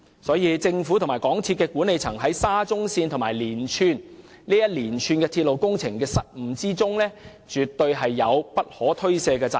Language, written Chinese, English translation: Cantonese, 故此，政府和港鐵公司管理層在沙中線和連串鐵路工程的失誤中，絕對有不可推卸的責任。, Therefore the Government and the management of MTRCL can by no means shirk their responsibility for the blunders concerning SCL and a series of other railway projects